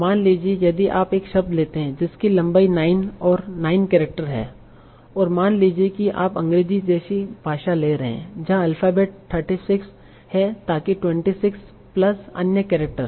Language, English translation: Hindi, So suppose if you take a word of length 9, that is 9 characters, and suppose in you are taking a language like English and alphabet is 36